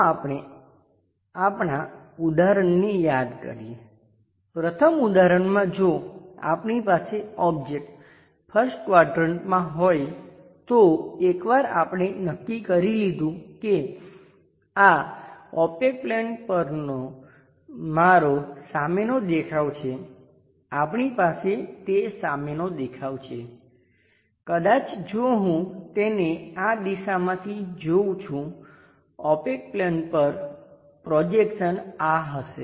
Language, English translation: Gujarati, Let us recall our example, in the first example if we have an object in the first quadrant once we have decided this is my front view on the opaque plane we have that front view, maybe if I am visualizing it from this direction this part projection opaque plane will be this